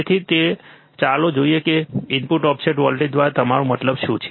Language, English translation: Gujarati, So, with that let us see what you mean by input offset voltage